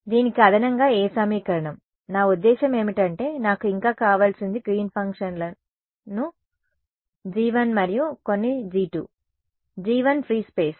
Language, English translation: Telugu, In addition to this what equation, I mean what else I needed was the Green’s functions G 1 and some G 2, G 1 was free space